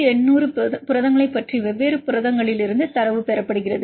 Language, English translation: Tamil, The data are obtained from different proteins about 1800 proteins